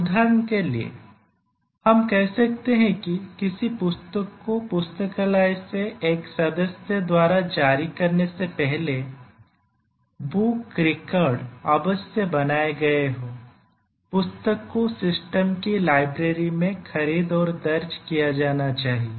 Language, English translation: Hindi, For example, we might say that in a library before a book can be issued by a member the book records must have been created, the book must have been procured and entered in the systems library